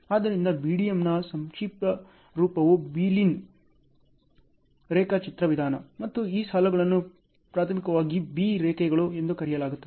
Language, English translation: Kannada, So, BDM the abbreviation is Beeline Diagramming Method and these lines are primarily called as Bee lines